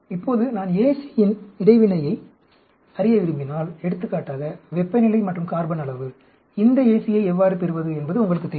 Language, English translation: Tamil, Now, if I want to know AC interaction, for example, temperature and carbon amount, you know how to get this AC